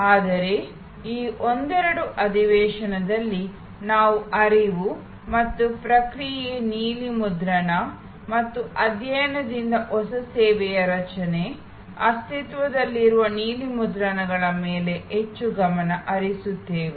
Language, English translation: Kannada, But, in this couple of session we will more focus on the flow and a process blue print and creation of new service from studying, existing blue prints